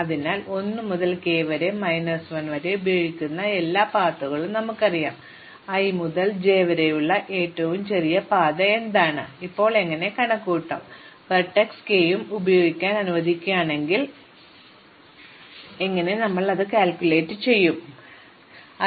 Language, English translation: Malayalam, So, we know among all the paths which use at most 1 to k minus 1, what is the shortest path from i to j, how do we now compute, if we allow vertex k also to be used, how do you compute, what would be the shortest path from i to j